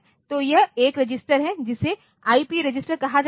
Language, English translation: Hindi, So, this is the 1 register which is called IP register